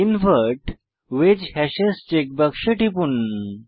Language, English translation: Bengali, Click on Invert wedge hashes checkbox